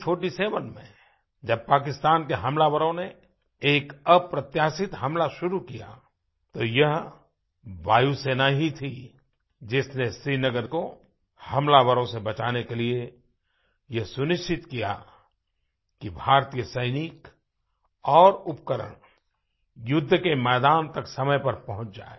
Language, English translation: Hindi, In 1947, when Pakistani attackers resorted to an unprecedented attack, it was indeed our Air Force which ensured that Indian Soldiers and armaments reached the battlefield promptly